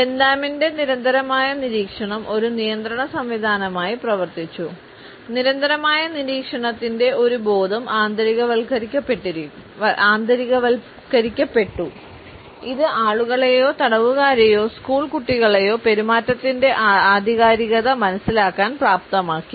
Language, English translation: Malayalam, The constant observation according to Bentham acted as a control mechanism; a consciousness of constant surveillance was internalized, which enabled the people, the prisoners or the school children for that matter to understand the propriety of behaviour